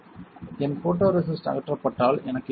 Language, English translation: Tamil, If my photoresist get stripped then what will I have